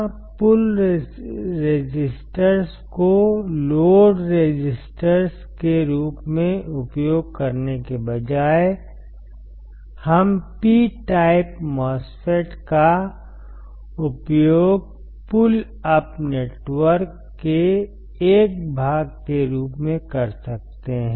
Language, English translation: Hindi, Here, instead of using the load resistors as a pullup resistor, we can use P type MOSFET as a part of pullup network